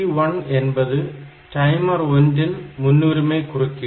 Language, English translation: Tamil, So, PT1 is the priority of timer 1 interrupt